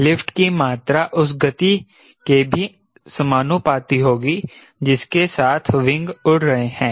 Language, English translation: Hindi, amount of lift will be proportional to the wing area